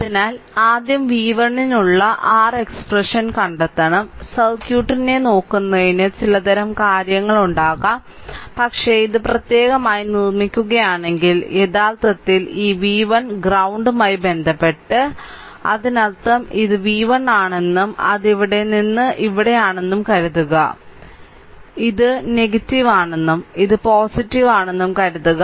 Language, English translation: Malayalam, So, first we have to find out the your what we call expression for v 1, just for your understanding looking at the circuit you may have some kind of thing, but ah if I if I make it separately actually this v 1 with respect to the ground; that means, ah suppose this is my v 1 and it is from here to here it is from here to here right this is neg ah this is negative and this is your positive right